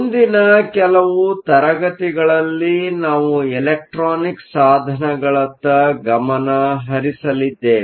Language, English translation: Kannada, In the next few classes, we are going to focus on electronic devices